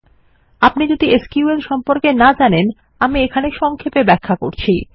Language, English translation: Bengali, In case youre not familiar with sql, let me brief you